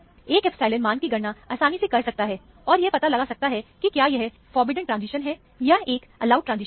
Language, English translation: Hindi, One can easily calculate the epsilon value, and find out, whether it is a forbidden transition, or an allowed transition